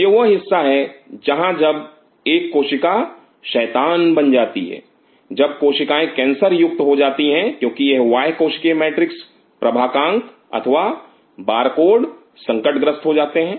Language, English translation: Hindi, This is that part where when a cell becomes rogue, when the cell becomes cancerous because this extracellular matrix signature or barcode is compromised